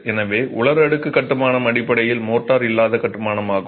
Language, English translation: Tamil, So, dry stack construction is basically mortar less construction